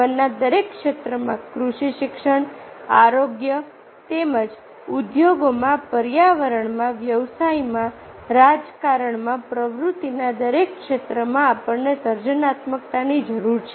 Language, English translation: Gujarati, it is required in every sphere of life: in agriculture, education, health, as well as industry, in environment, in business, in politics, in every sphere of activity